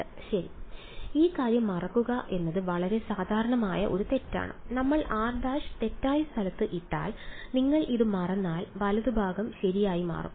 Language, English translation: Malayalam, 2 ok, it is very its a very common mistake is to forget about this thing, if you forget about this if we put r prime in the wrong place then the right hand side will change right